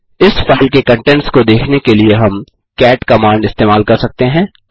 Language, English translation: Hindi, We can use the cat command to view the contents of this file